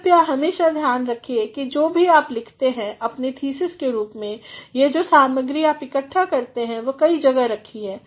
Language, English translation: Hindi, Please, always see to it that whatever you write in the form of your thesis or whatever materials you have gathered, say to it that they are stored in at several places